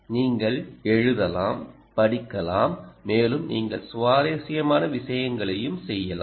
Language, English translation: Tamil, you can write, you can read, so you can do read, you can do right, and you can also do interesting things like a